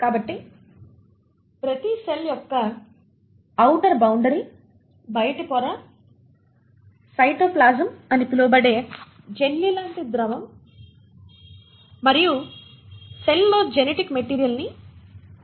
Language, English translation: Telugu, So each cell consists of an outer boundary, the outer membrane, the jellylike fluid called the cytoplasm and the genetic material within the cell